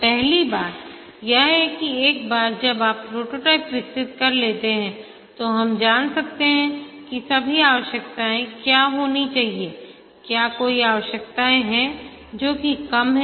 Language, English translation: Hindi, The first thing is that once we develop the prototype, we can know what are all the requirements that should be there, if there are any requirements which are missing